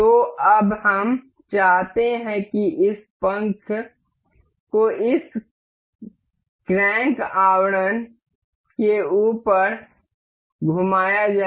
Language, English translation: Hindi, So, now, we want this this fin to be rotated to be placed over this crank casing